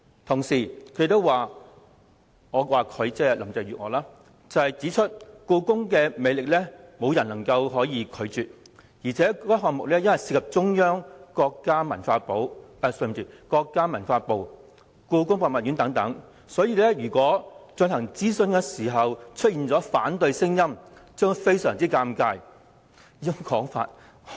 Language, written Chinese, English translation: Cantonese, 同時，林鄭月娥亦指出故宮的魅力沒有人能夠抗拒，加上項目涉及中央政府、國家文化部及故宮博物院等，如諮詢期間出現反對聲音，便會相當尷尬。, She also pointed out that no one could resist the attraction of the Palace Museum . Furthermore as the project involved the Central Government the Ministry of Culture of the country and the Beijing Palace Museum etc it would be very embarrassing if there were dissenting voices during the consultation